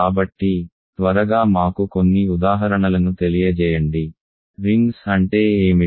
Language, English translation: Telugu, So, quickly let me some examples, what are rings